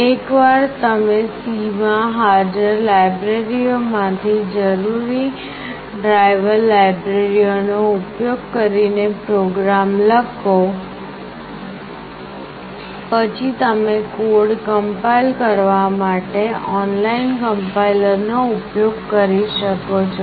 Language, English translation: Gujarati, Once you write the program in C using necessary driver libraries those are present, you can use the online compiler to compile the code